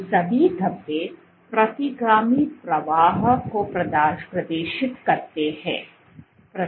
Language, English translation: Hindi, All these speckles exhibit retrograde flow